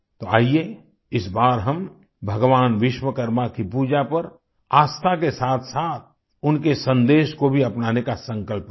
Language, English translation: Hindi, Come, this time let us take a pledge to follow the message of Bhagwan Vishwakarma along with faith in his worship